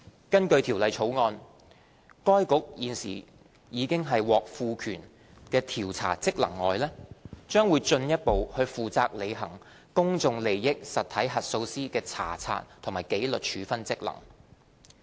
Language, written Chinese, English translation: Cantonese, 根據《條例草案》，該局除現時已獲賦權的調查職能外，將進一步負責履行公眾利益實體核數師的查察和紀律處分職能。, Under the Bill in addition to investigatory function with which it is already vested the Financial Reporting Council will be further responsible for undertaking inspection and disciplinary functions regarding PIE auditors